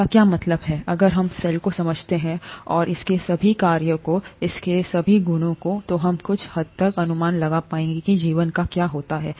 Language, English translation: Hindi, What does it mean, if we understand cell, the cell, and all its functions, all its properties, then we would be able to somewhat predict what happens to life